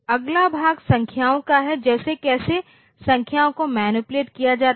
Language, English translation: Hindi, Next part is the numbers like, how are the numbers manipulated